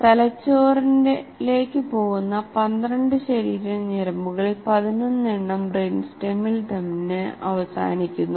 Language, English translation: Malayalam, 11 of the 12 body nerves that go to the brain and in brain stem itself